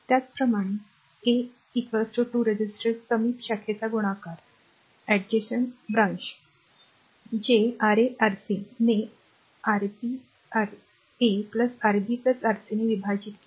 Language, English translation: Marathi, Similarly, R 2 is equal to product of the 2 resistor adjacent branch that is Ra Rc divided by Rb Ra plus Rb plus Rc